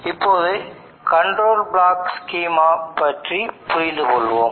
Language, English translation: Tamil, Now let us understand the control block schema